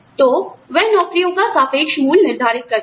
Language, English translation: Hindi, So, that the relative worth of the jobs, can be determined